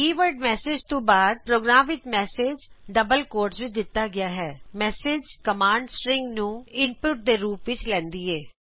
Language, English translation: Punjabi, Message in a program is given within double quotes after the keyword message message command takes string as input